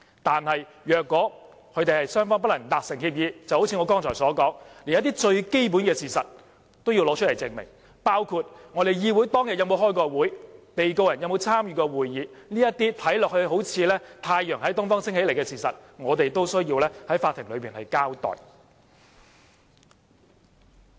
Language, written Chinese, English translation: Cantonese, 但如果雙方不能達成協議，一如我剛才所說，連一些最基本的事實也要提供證明，包括我們議會當天有沒有召開會議、被告人有沒有參與過會議等，這些看來好像太陽從東方升起的事實，我們也必須在法庭內交代。, But if an agreement is not possible as in the case pointed out by me just now we will have to prove some very basic facts including whether a meeting was convened that day and whether the defendant participated in the meeting and so on . We must give an account for these fundamental facts in the Court even if the facts are seemingly universal truth